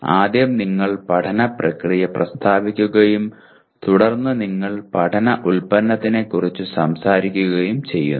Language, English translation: Malayalam, First you state the learning process and then you talk about learning product